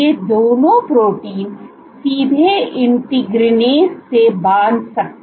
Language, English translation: Hindi, Both of these proteins can directly bind to integrins